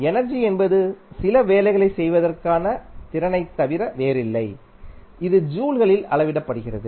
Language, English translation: Tamil, Energy is nothing but the capacity to do some work and is measured in joules